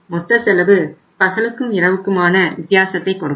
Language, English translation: Tamil, Your total cost will means will make a day night difference